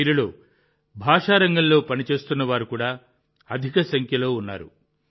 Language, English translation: Telugu, Among these, a large number are also those who are working in the field of language